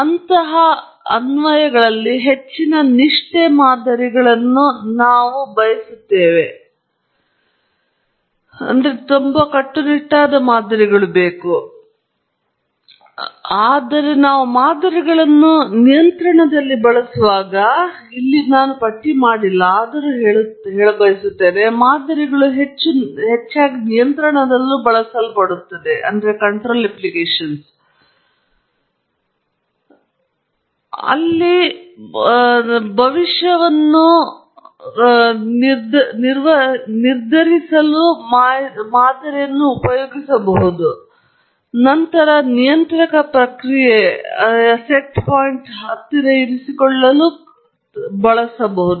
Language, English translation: Kannada, We need high fidelity models in such applications, whereas when we use models in control, although I don’t list that here, models are heavily used in control, where the model makes a prediction of where the process is heading, and then, a controller takes an action to keep the response of the process close to the set point